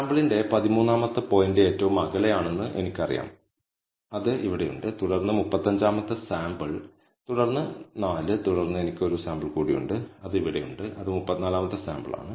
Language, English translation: Malayalam, So now, I know the 13th point of the sample is the farthest, which is here, followed by the 35th sample, followed by the sample 4 and then I have one more sample, which is here, which is the 34th sample